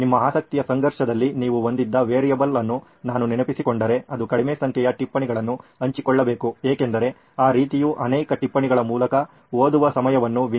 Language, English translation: Kannada, And also if I remember the variable that you had in your conflict of interest towards that, it should move towards low number of notes being shared because that sort of reduces the time that person devotes in reading through so many notes